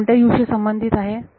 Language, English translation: Marathi, So, that is corresponding to U which one